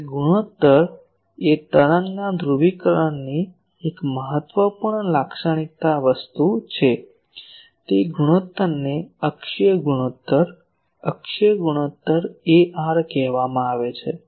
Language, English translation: Gujarati, That ratio is an important characteristic thing of the polarisation of the wave; that ratio is called axial ratio, axial ratio AR